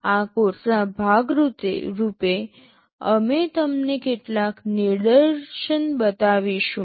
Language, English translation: Gujarati, As part of this course, we shall be showing you some demonstrations